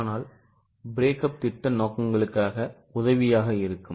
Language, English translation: Tamil, But breakup is helpful for projection purposes